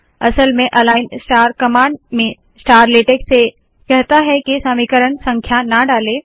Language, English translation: Hindi, In fact, the star in the aligned star command has told latex not to put the equation numbers